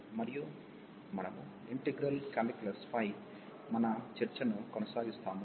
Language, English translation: Telugu, And we will be continuing our discussion on integral calculus